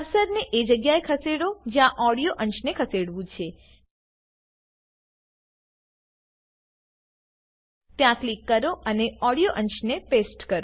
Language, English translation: Gujarati, Move the cursor to the place where the audio segment needs to be moved, click there and paste the audio segment